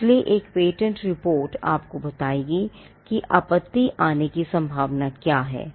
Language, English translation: Hindi, So, a patentability report would let you know what are the chances of an objection that could come